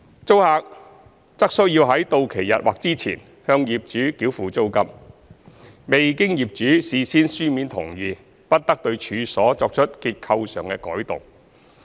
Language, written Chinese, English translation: Cantonese, 租客則須在到期日或之前向業主繳付租金；未經業主事先書面同意，不得對處所作出結構上的改動。, The tenant must pay the rent to the landlord on or before the due date and must not make any structural alteration to the premises without the prior consent in writing of the landlord